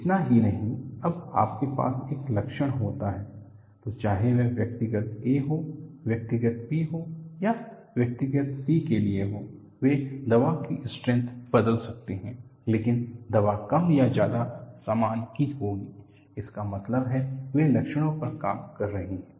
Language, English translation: Hindi, Not only that, when you have a symptom, whether it is for individual a, individual b, or individual c, they may change the strength of the medicine, but the medicine will be more or less the same; that means, they are operating on symptoms